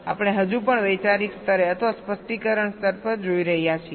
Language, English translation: Gujarati, we are still looking at the conceptual level or at the specification level